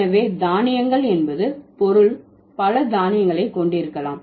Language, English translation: Tamil, So grains means you can have multiple grains, right